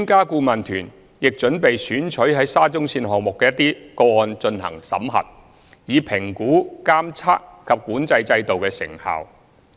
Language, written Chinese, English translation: Cantonese, 顧問團亦準備選取在沙中線項目的一些個案進行審核，以評估監測及管制制度的成效。, The Expert Adviser Team meanwhile will audit selected cases of the SCL Project to assess the effectiveness of the monitoring and control system